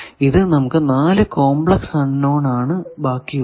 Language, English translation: Malayalam, So, we are remaining with 4 complex unknowns